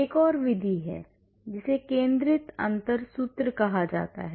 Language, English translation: Hindi, There is another method that is called centered difference formula